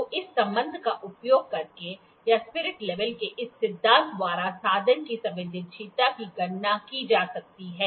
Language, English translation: Hindi, So, this sensitivity of the instrument can be calculated using this relation or this principle, this is a spirit level